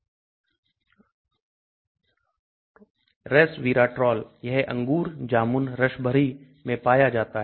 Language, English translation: Hindi, Resveratrol it is found in grapes, blueberries, raspberries